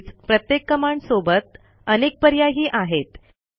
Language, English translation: Marathi, Moreover each of the command that we saw has many other options